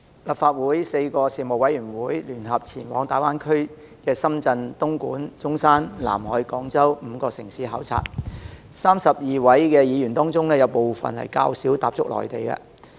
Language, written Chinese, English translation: Cantonese, 立法會4個事務委員會聯合前往大灣區的深圳、東莞、中山、南海及廣州5個城市考察，在32位議員當中，有部分較少踏足內地。, Four Panels of the Legislative Council jointly conducted a duty visit to five cities in the Guangdong - Hong Kong - Macao Greater Bay Area namely Dongguan Zhongshan Nanhai and Guangzhou . Among the 32 Members some of them seldom go to the Mainland